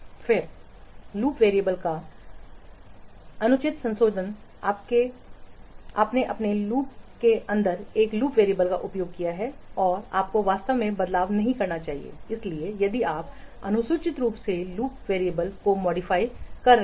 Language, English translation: Hindi, Then improper modification of loop variables, you have used a loop variable inside a loop and you should not actually modify it